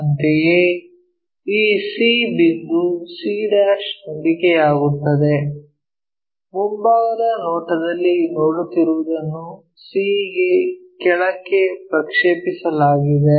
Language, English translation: Kannada, Similarly, this c point c' whatever we are looking in the front view projected all the way to c